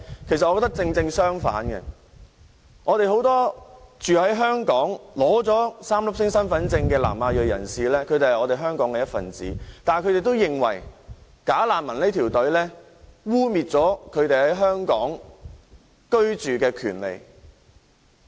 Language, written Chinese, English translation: Cantonese, 我覺得恰好相反，很多居住在香港並已領取 "3 粒星"身份證的南亞裔人士是香港的一分子，但是，他們也認為"假難民"的申請隊伍會影響他們在香港居住的權利。, But I hold the opposite view . Many ethnic South Asians living in Hong Kong and holding three - star identity cards are members of our community but they also think that those bogus refugees lining up for lodging non - refoulement claims will undermine their right of abode in Hong Kong